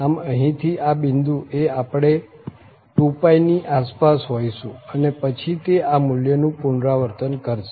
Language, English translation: Gujarati, So, at this point here we are somewhere 2 pi and then it will repeat its value